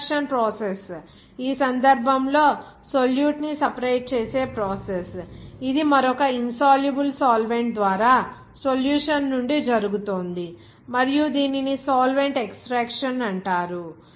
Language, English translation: Telugu, The extraction process, in this case, the process of separation of solute, is being taken place from a solution by another insoluble solvent and this is widely known as solvent extraction